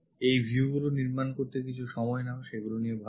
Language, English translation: Bengali, Take some time to construct these views, think about it